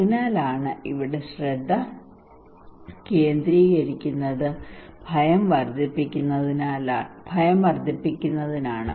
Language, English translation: Malayalam, So here the focus is on to increase the fear only